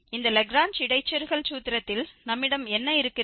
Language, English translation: Tamil, So, this Lagrange interpolation formula becomes really tedious